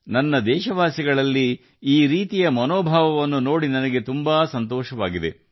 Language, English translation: Kannada, It gives me immense happiness to see this kind of spirit in my countrymen